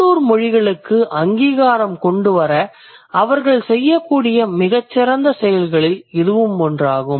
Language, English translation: Tamil, That's one of the finest things that they could do for bringing recognition to the local languages